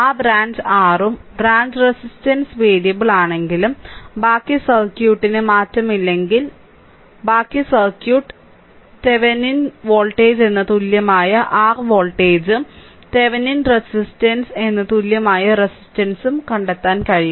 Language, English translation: Malayalam, And if that branch your what you call and if the branch resistance is variable say but rest of the circuit is unchanged, then the rest of the circuit we can find out to an equivalent your what you call voltage called Thevenin voltage and equivalent resistance called Thevenin resistance